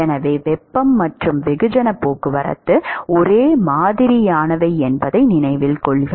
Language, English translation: Tamil, So, note that heat and mass transport are similar right